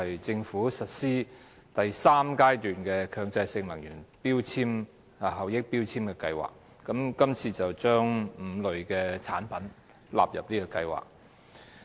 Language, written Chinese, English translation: Cantonese, 政府將實施第三階段強制性能源效益標籤計劃，將5類產品納入這項計劃。, The Government is going to implement the third phase of the Mandatory Energy Efficiency Labelling Scheme MEELS covering five types of prescribed products